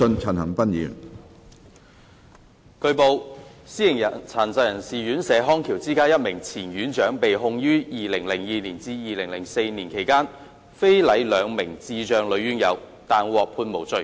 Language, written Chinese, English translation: Cantonese, 主席，據報，私營殘疾人士院舍康橋之家一名前院長被控於2002至2004年期間非禮兩名智障女院友，但獲判無罪。, President it has been reported that a former superintendent of a privately run residential care home for persons with disabilities RCHD the Bridge of Rehabilitation Company was prosecuted for indecently assaulting two female residents with intellectual disability during the period between 2002 and 2004 but was acquitted